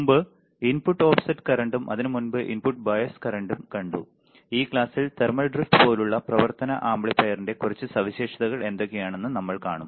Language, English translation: Malayalam, So, an earlier input offset current and before that we have seen input bias current, in this class we will see what are the few more characteristics of operational amplifier such as thermal drift